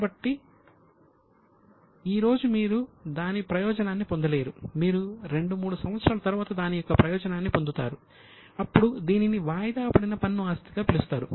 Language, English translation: Telugu, But, government gives you some benefits which you can use after two years, after three years, benefit of remission of tax or reduction of tax that is called as a deferred tax asset